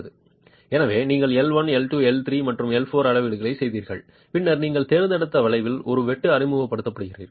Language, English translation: Tamil, So you make the measurements L1, L2, L3 and L4 and then introduce a cut at the joint that you have selected